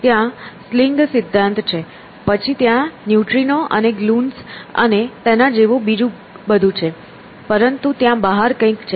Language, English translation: Gujarati, So, there is a sling theory, then they are neutrinos and gluons and that kind of stuff, but there is something out there